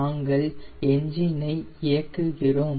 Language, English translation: Tamil, we will start the aircraft